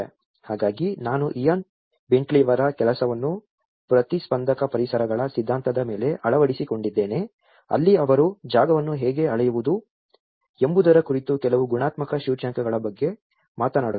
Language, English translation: Kannada, So I have adopted Ian Bentley’s work on the theory of responsive environments where he talks about certain qualitative indices how to measure a space